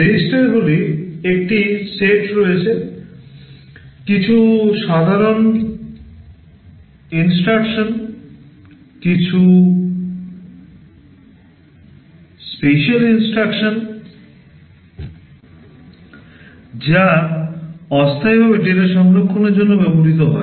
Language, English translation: Bengali, There are a set of registers, some are general purpose some are special purpose, which are used for temporary storage of data